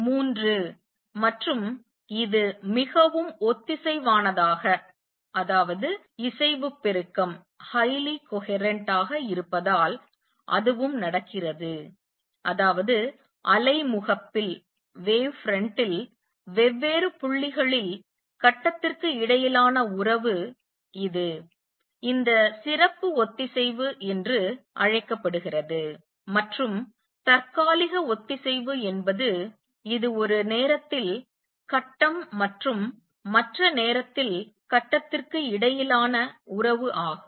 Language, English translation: Tamil, Three and that also happens because this is highly coherent; that means, the relationship between phase on different points on the wave front which is known as this special coherence and temporary coherence that is the relationship between phase at one time and the other time